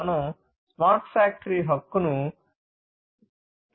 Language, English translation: Telugu, We want to build a smart factory